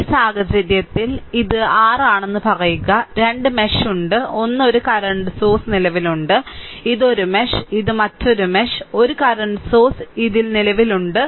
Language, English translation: Malayalam, So, in this case, suppose this is your this say current source, there are 2 mesh and 1 one current source is exist, this is 1 mesh and this is another mesh and 1 current source is simply exist in this